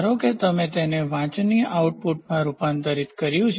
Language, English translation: Gujarati, So, suppose you has to be converted into a readable output